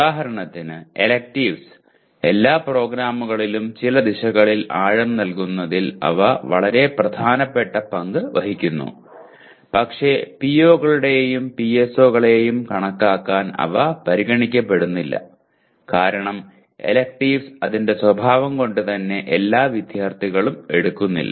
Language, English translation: Malayalam, For example electives, they play very important role in providing depth in some direction in all programs but they are not considered for computing the POs and PSOs as by the very nature electives are not taken by all students